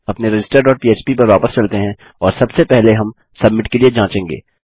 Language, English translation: Hindi, Back to our register dot php and first of all we will check for submit